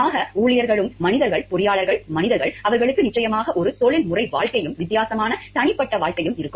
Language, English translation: Tamil, So, employees are human beings, engineers are human beings, they will definitely have a professional life and a different personal life